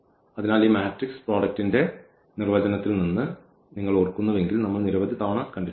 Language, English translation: Malayalam, So, if you remember from this definition of this matrix product which we have seen several times